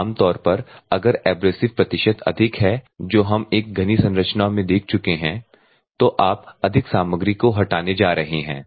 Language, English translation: Hindi, Normally if abrasives percentage is more, what we have seen is a dense structure